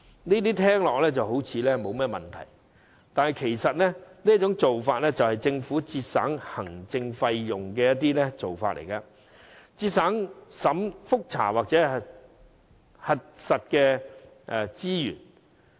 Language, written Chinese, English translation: Cantonese, 這聽來沒有甚麼問題，但其實這做法是政府為節省行政費用的手法，旨在節省覆查或核實的資源。, The procedure does not sound problematic . Yet the Government has adopted this tactic to reduce the resources required for checking and verifying the source of content thereby saving its administrative cost